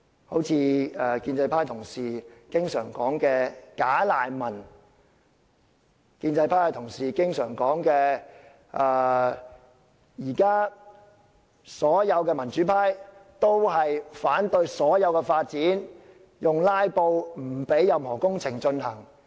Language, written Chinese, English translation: Cantonese, 例如建制派同事經常提到的"假難民"；建制派同事又經常說，現時所有民主派均反對任何發展，以"拉布"手段阻止工程進行。, Moreover pro - establishment Members would often say that the democrats reject any development and hence they filibuster to stall the works projects